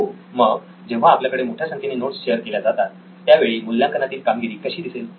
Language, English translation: Marathi, So, what is the, when you have a high number of notes shared, what is the assessment score look like